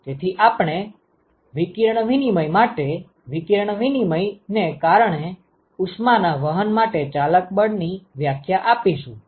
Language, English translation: Gujarati, So, if we define the driving force; for radiation exchange, for heat transport due to radiation exchange